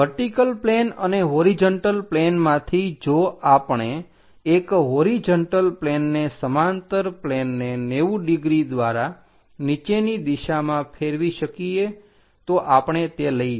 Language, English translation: Gujarati, From the vertical plane and horizontal plane, if we are taking if we can rotate a parallel plane on the horizontal thing by 90 degrees in the downward direction